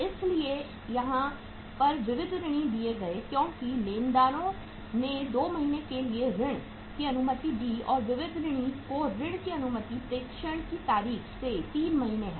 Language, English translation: Hindi, So sundry debtors was given here as uh creditors allow the credit for 2 months and credit allowed to the debtors is 3 months from the date of dispatch